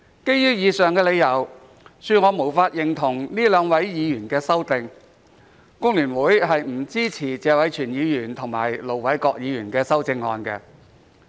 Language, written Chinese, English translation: Cantonese, 基於以上的理由，恕我無法認同這兩位議員的修正案，工聯會不支持謝偉銓議員和盧偉國議員的修正案。, Based on the aforesaid reasons please pardon me for not being able to agree with the amendments of Mr Tony TSE and Ir Dr LO Wai - kwok and FTU will not support the amendments of these two Members